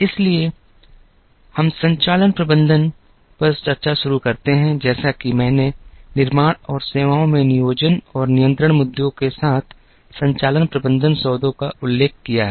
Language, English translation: Hindi, So, let us begin the discussion on operations management, as I mentioned operations management deals with planning and control issues in manufacturing and services